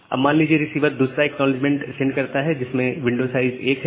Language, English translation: Hindi, Now say, the receiver is sending another acknowledgement to the sender saying that the window size is 1